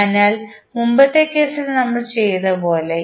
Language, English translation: Malayalam, So, as we did in the previous case